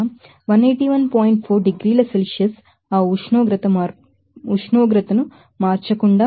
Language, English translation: Telugu, 4 degrees Celsius without changing that temperature